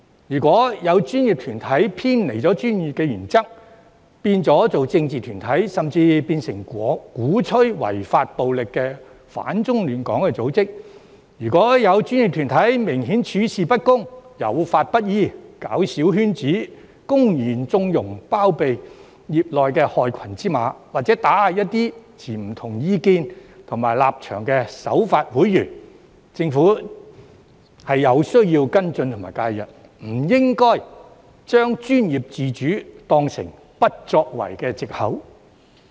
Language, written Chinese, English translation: Cantonese, 如果有專業團體偏離專業原則，變成政治團體，甚至變成鼓吹違法暴力、反中亂港的組織，或者如果有專業團體明顯處事不公、有法不依、搞小圈子，公然縱容、包庇業內的害群之馬，或打壓一些持不同意見和立場的守法會員，政府便有需要跟進和介入，而不應把專業自主當成不作為的藉口。, If a professional body deviate from professional principles and turn into a political body or even an organization that advocates unlawful violence opposes the Central Authorities and causes disturbance to the law and order of Hong Kong or if a professional body obviously handles matters unfairly fails to act in accordance with the law forms small circles blatantly connives at or harbours the black sheep in the sector or suppresses some law - abiding members who have different views and stances the Government has to take follow - up action and step in instead of using professional autonomy as an excuse for its inaction